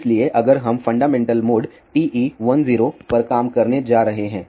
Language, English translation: Hindi, So, if we are going to operate at fundamental mode TE 10